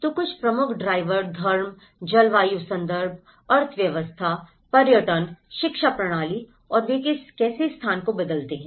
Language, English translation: Hindi, So, some of the major drivers were the religion, climatic context, economy, tourism, education system and how they transform the place